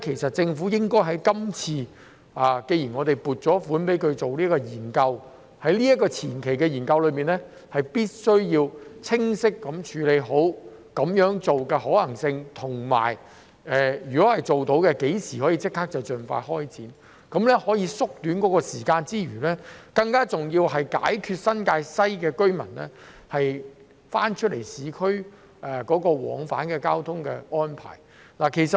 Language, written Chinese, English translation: Cantonese, 所以，既然我們已經撥款進行研究，政府應該在前期研究中清晰地探討其可行性，以及如果做得到，最快可於何時開展工作，因為這樣除了可縮短時間外，更能解決新界西居民往返市區的交通安排。, In this connection since we have already approved funding for the studies the Government should in the preliminary studies clearly explore the feasibility of this suggestion and if it is feasible when the relevant work can start the soonest because apart from shortening the time required this can also provide a solution to the transport arrangements for residents in New Territories West to travel to and from the urban area